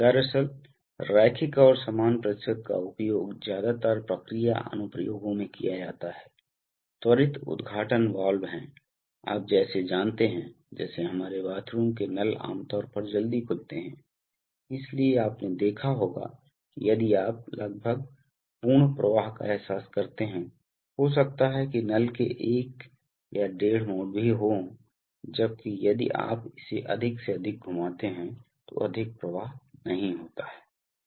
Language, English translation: Hindi, Actually, the linear and the equal percentage are mostly used in process applications, quick opening valves are, you know like our, like our bathroom taps are typically quick opening, so you must have seen that if you, the almost full flow is realized by a, maybe even one turn or one and a half turns of the tap, while if you move it more and more then not much flow increase takes place